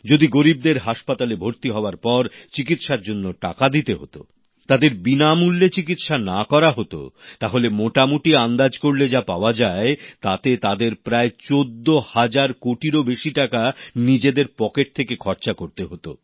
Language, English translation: Bengali, If the poor had to pay for the treatment post hospitalization, had they not received free treatment, according to a rough estimate, more than rupees 14 thousand crores would have been required to be paid out of their own pockets